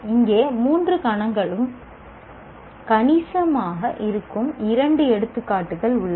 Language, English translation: Tamil, Here are two examples where all the three domains are significantly present